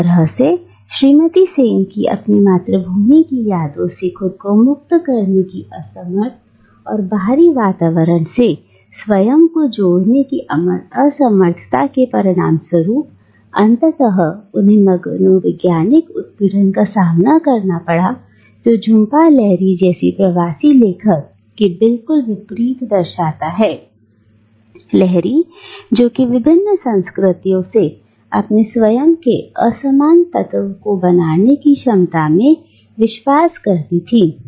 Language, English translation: Hindi, In a way, Mrs Sen with her inability to break free from them cocoon of memory of a remembered homeland and her inability to connect with the outside space resulting ultimately in a psychological breakdown represents the opposite of what Jhumpa Lahiri is, the diasporic author who is confident in her ability to appropriate and make her own disparate elements from different cultures